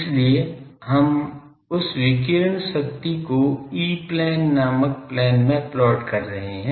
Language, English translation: Hindi, So, we are plotting that radiated power in the plane called E plane